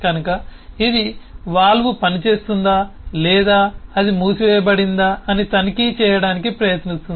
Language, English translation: Telugu, so it is trying to check if the valve at all is working or it has been closed down